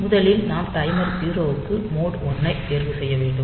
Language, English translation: Tamil, So, first we have to choose mod 1 for timer 0, and for that matter